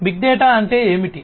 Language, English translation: Telugu, So, what is big data